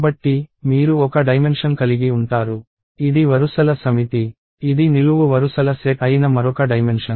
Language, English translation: Telugu, So, you have one dimension, which is the set of rows; another dimension which is the set of columns